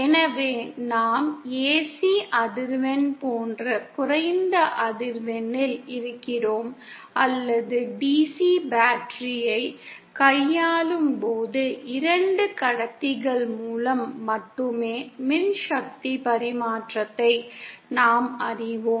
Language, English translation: Tamil, So we are at low frequency like AC frequency or when we are dealing with a DC battery, we are familiar with electrical power transfer only by means of two conductors